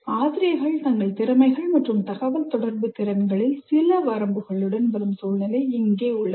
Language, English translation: Tamil, Teachers come with some limitations on their competencies and communication abilities